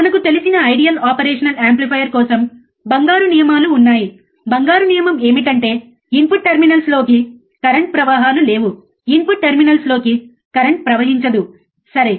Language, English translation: Telugu, For ideal operational amplifier we know, right there are golden rules the golden rule is that no current flows into the input terminals, no current flows into the input terminals, right